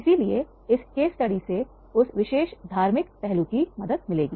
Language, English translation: Hindi, So this case study will help that particular theoretical aspect